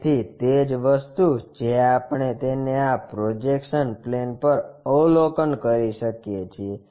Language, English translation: Gujarati, So, same thing what we can observe it on this projection plane